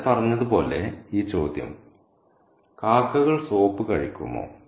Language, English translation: Malayalam, As I said, this question, do crows eat soap